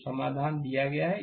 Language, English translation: Hindi, So, solution is given